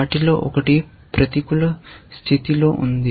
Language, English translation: Telugu, One of them is in negative condition